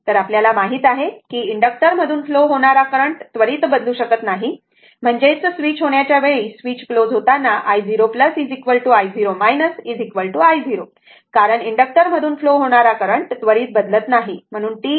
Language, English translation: Marathi, So, we know that current through inductor cannot change instantaneously; that means, at the time of switch, at the time switch is closed i 0 plus is equal to i 0 minus is equal to i 0 because current through inductor cannot change instantaneously